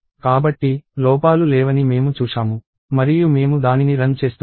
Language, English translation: Telugu, So, I see that there are no errors and I run it